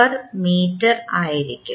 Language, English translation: Malayalam, 8066 meter per second square